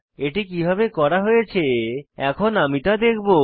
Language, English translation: Bengali, Now I will show you how this is done